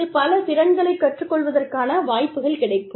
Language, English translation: Tamil, Then, the opportunities, to learn new skills, are present